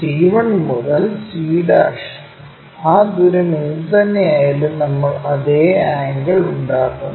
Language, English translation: Malayalam, c 1 to c' whatever that distance we make that same angle